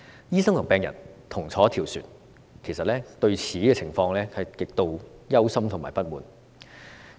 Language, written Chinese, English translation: Cantonese, 醫生和病人同坐一條船，其實對這個情況極度憂心和不滿。, In fact sitting in the same boat both doctors and patients are extremely worried and dissatisfied about this situation